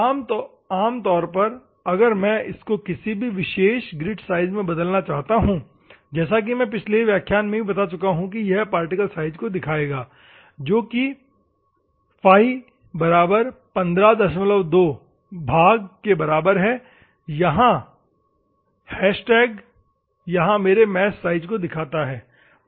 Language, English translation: Hindi, Normally, if I want to convert particularly, grit size as I explained you in the previous class also it will be like particle size normally represent by φ equal to 15